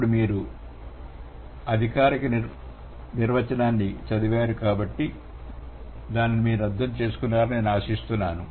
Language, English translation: Telugu, Now you read the formal definition and I hope you are going to understand it